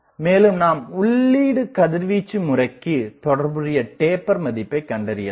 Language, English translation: Tamil, Also you can find the corresponding taper at the feed radiation pattern